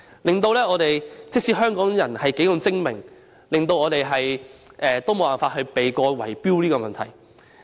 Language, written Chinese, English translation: Cantonese, 結果，即使香港人如何精明，也無法避過圍標問題。, As a result no matter how shrewd Hong Kong people are they cannot avoid falling victim to bid - rigging